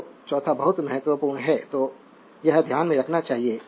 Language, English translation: Hindi, So, the fourth one is very important right so, this should be in your mind